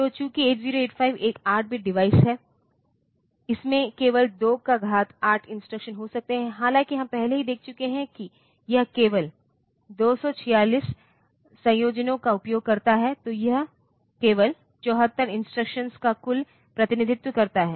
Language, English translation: Hindi, So, since 8085 is an 8 bit device, it can have only 2 power 8 instructions; however, we have already seen that it uses only 246 combinations, and that represents a total of 74 instructions only